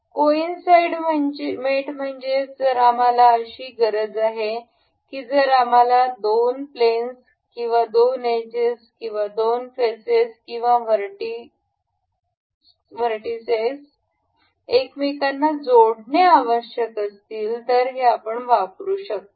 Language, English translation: Marathi, Coincidence mate is if we in case we need any two planes any two edges or any two faces or vertices to be coincide over each other we can do that